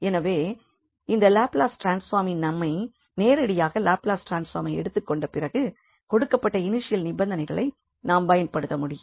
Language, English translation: Tamil, So, the advantage of this Laplace transform is that directly after taking the Laplace transform we can use the given initial conditions and finally we will get just the solution of the given problem